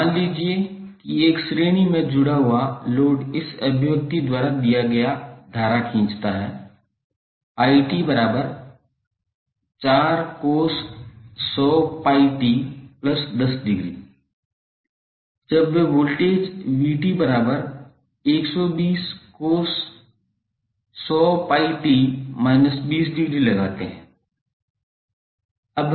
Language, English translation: Hindi, Suppose a series connected load draws current given by this expression i when they applied voltage is vt that is 120 cos 100 pi t minus 20